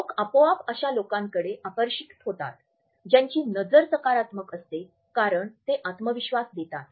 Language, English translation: Marathi, People are automatically drawn towards people who have a positive eye contact because it conveys self assurance and confidence